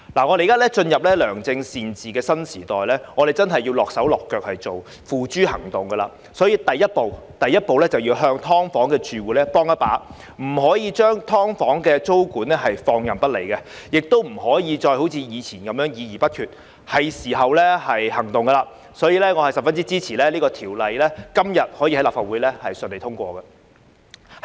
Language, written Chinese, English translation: Cantonese, 我們現在進入良政善治的新時代，我們真的要付諸行動，所以，第一步要幫"劏房"住戶一把，不能將"劏房"的租管放任不理，也不能一如以往議而不決，現在是時候採取行動，所以我十分支持立法會今天順利通過《條例草案》。, We are now entering a new era of good governance and efficient administration and it is really necessary for us to put words into action . Therefore the Government should take action now by giving SDU tenants a helping hand as the first step rather than putting SDU tenancy control aside and engaging in discussion without reaching a decision as it used to be . I therefore support the smooth passage of the Bill by the Legislative Council today